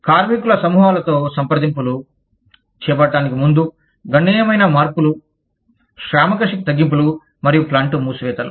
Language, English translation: Telugu, groups, prior to carrying out, substantial changes such as, workforce reductions, and plant closures